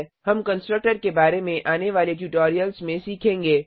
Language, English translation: Hindi, We will learn about constructor in the coming tutorials